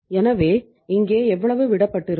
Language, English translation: Tamil, So how much will be left here